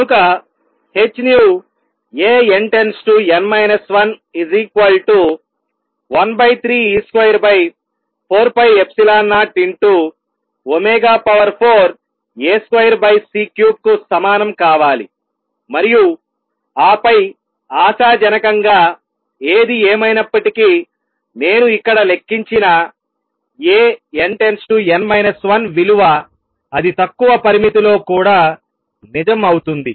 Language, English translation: Telugu, So, h nu A n to n minus 1 should be equal to 1 third e square over 4 pi epsilon 0 omega raise to 4 amplitude square over C cubed and then hopefully whatever a n, n minus 1, I calculate here that will to true in the lower limit also